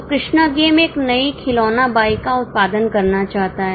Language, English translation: Hindi, So, Krishna game wants to produce a new toy bike